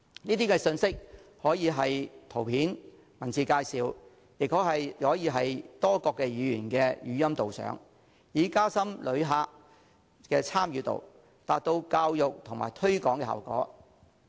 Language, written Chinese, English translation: Cantonese, 這些信息可以是圖片、文字介紹，也可以是多種語言的語音導賞，以加深旅客的參與度，達到教育和推廣的效果。, The information can be presented as pictures or texts or in the form of multi - lingual audio guides to increase the involvement of visitors to achieve educational and promotional effects